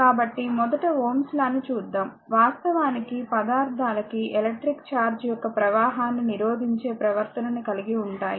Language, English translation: Telugu, So, first is let us see the Ohm’s law in general actually materials have a characteristic behavior of your resisting the flow of electric charge